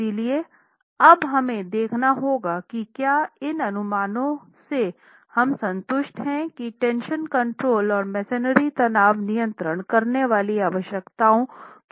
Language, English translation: Hindi, So, we will have to now look at whether with these estimates do we satisfy the requirements that tension controls and masonry stress is within permissible stress